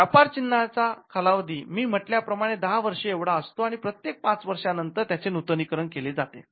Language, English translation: Marathi, Trademarks as I said trademarks the duration is it is granted for 10 years it can be renewed every 5 years